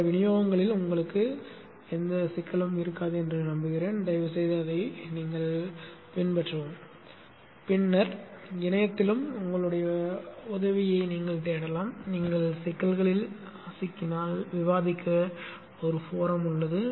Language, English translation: Tamil, I hope that you will not have a problem in other distributions too, kindly follow it and then look into help on the net too if you run into problems and there is a forum to discuss